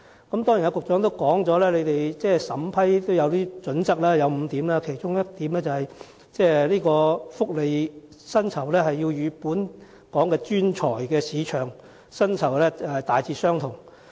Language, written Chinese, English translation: Cantonese, 當然，局長剛才亦表示審批相關申請有5項準則，其中一項是薪酬福利須與當時本港專才的市場薪酬福利大致相同。, Surely the Secretary also told us a moment ago that the applications would be assessed according to five criteria and one of which is that the remuneration package should be broadly commensurate with the prevailing market level for professionals in Hong Kong